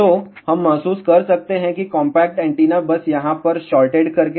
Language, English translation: Hindi, So, we can realize that compact antenna simply by putting shorted over here